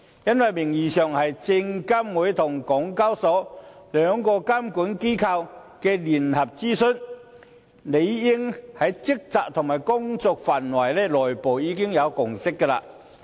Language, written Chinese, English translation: Cantonese, 因為名義上是證監會與港交所兩個監管機構的聯合諮詢，理應在職責和工作範圍上已有內部共識。, Its name says that it is a joint consultation conducted by SFC and SEHK so there is supposed to be a consensus on their respective responsibilities and scopes of work